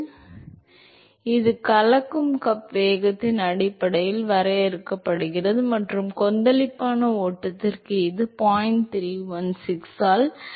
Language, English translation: Tamil, So, it is defined based on the mixing cup velocity and for turbulent flow it is given by 0